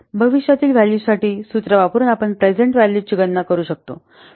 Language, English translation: Marathi, We can compute the present value by using the formula for the future value